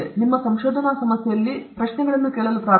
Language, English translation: Kannada, Start asking these questions in your research problem